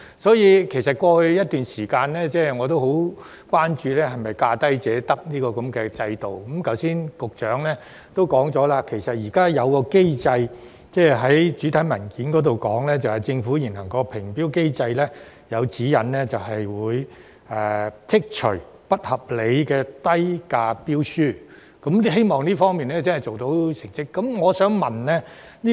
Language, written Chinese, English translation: Cantonese, 所以，在過去一段時間，我其實很關注當局有否實行"價低者得"的原則，但局長剛才已在主體答覆說明，政府的現行評標機制已訂有指引，會剔除出價低得不合理的標書，我希望在這方面可做出一些成績。, Therefore I have indeed all along been very much concerned whether the authorities have adopted the principle of the lowest bid wins but the Secretary has just now stated clearly in the main reply that there were already guidelines in the existing tender evaluation mechanism put in place by the Government to exclude tenders with unreasonably low prices and I hope some achievements can be made in this respect